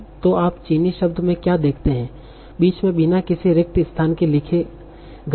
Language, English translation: Hindi, So what do you see in Chinese words are written without any spaces in between